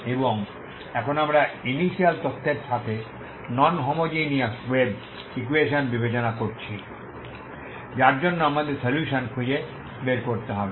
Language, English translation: Bengali, And now we we have considered non homogeneous wave equation with initial data for which we need to find the solution